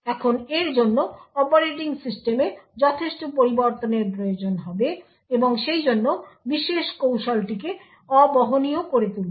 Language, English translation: Bengali, Now this would require considerable of modifications in the operating system and therefore also make the particular technique non portable